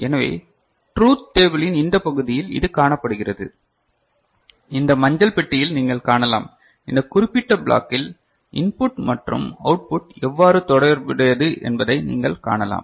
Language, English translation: Tamil, So, that is seen in this part of the truth table, that you can see where this yellow box is the one, yellow box one is the one, where you can see how the input and output of this particular block is related ok